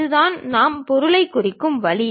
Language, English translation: Tamil, This is the way we represent the material